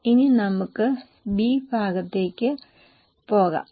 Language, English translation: Malayalam, Now let us go to the B part